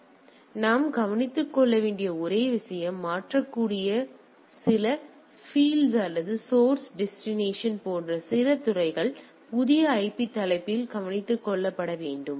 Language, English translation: Tamil, So, only thing we need to take care there are some of the fields which are mutable or some of the fields that is source destination etcetera has to be taken care at the new IP header